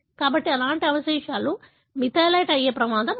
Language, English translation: Telugu, So, such residues are at higher risk of getting methylated